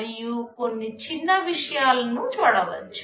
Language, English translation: Telugu, We can see some smaller things